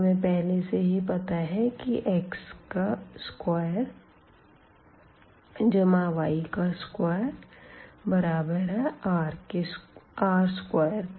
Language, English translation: Hindi, We also know that this x square plus y square in this case will become this r square